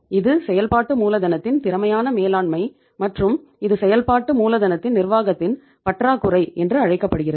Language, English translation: Tamil, That is the efficient management of the working capital and that is called as the lack of management of the working capital